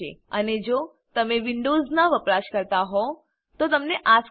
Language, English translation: Gujarati, And If you are a Windows user, you will see this screen